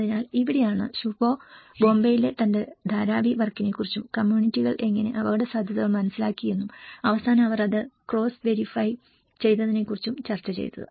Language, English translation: Malayalam, So, this is where Shubho have discussed about his Dharavi work in Bombay and how the communities have understood the risk potential and how they cross verified it at the end